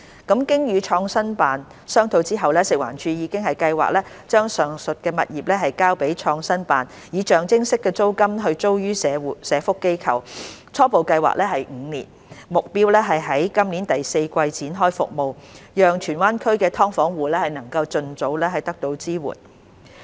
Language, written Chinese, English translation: Cantonese, 經與創新辦商討後，食環署已計劃把上述物業交予創新辦，以象徵式租金租予社福機構，初步計劃為期5年，目標是在今年第四季展開服務，讓荃灣區的"劏房戶"能盡早得到支援。, After discussion with PICO FEHD plans to hand over the above properties to PICO for leasing to SWO at a nominal rent for an initial period of five years . The target is to launch the service in the fourth quarter of 2021 so as to benefit the subdivided unit households in Tsuen Wan as soon as possible